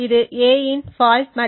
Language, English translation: Tamil, So this is the faulty value of a